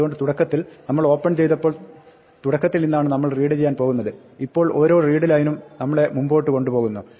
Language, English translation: Malayalam, So, initially when we open we are going to read from the beginning, now each readline takes us forward